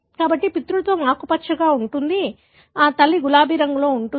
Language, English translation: Telugu, So, paternal is green, maternal is kind of pinkish